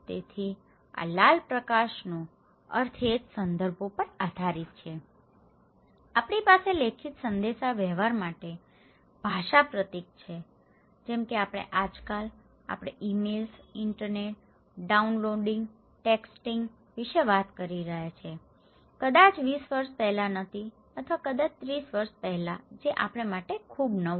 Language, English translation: Gujarati, So, the meaning of this red light depends on the context similarly, we have language symbol used for written communications okay like nowadays, we are talking about emails, internets, downloading, texting which was not there just maybe 20 years before okay or maybe 30 years before so, which is very new to us